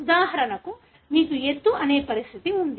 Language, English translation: Telugu, For example, you have a condition called, height